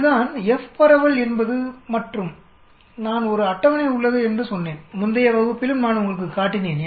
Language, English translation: Tamil, That is what is F distribution is all about and I said there is a table, I showed you in the previous class also